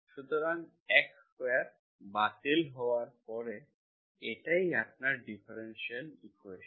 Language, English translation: Bengali, So x square, x square goes, this is what is your differential equation